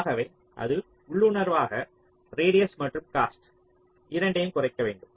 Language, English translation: Tamil, so we can say that well, in intuitively should minimize both radius and cost